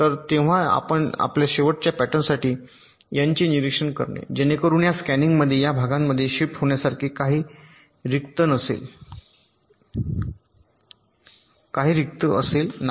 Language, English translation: Marathi, so when you are observing the n for the last pattern, so for that, this scanin, there is nothing to shift in